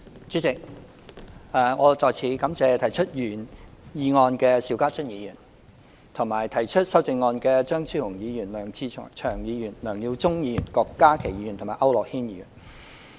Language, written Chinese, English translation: Cantonese, 主席，我再次感謝提出原議案的邵家臻議員，以及提出修正案的張超雄議員、梁志祥議員、梁耀忠議員、郭家麒議員和區諾軒議員。, President once again I would like to thank Mr SHIU Ka - chun for proposing the original motion as well as Dr Fernando CHEUNG Mr LEUNG Che - cheung Mr LEUNG Yiu - chung Dr KWOK Ka - ki and Mr AU Nok - hin for proposing amendments